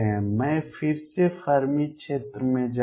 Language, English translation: Hindi, Again I will go to the Fermi sphere